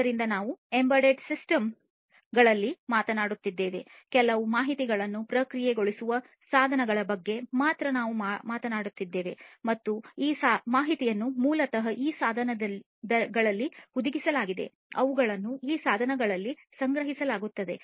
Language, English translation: Kannada, So, we have in embedded systems we are talking about devices alone the devices that will process some information and this information are basically embedded in these devices, they are stored in these devices and so on